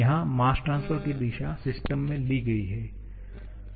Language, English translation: Hindi, Here, the direction of mass transfer is taken to be into the system